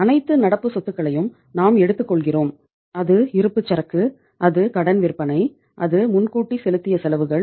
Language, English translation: Tamil, We take all the current assets maybe it is inventory, it is the credit sales, it is the uh prepaid expenses